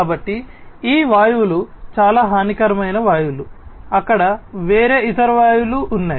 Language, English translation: Telugu, So, these gases are very harmful gases like this there are different other gases that are there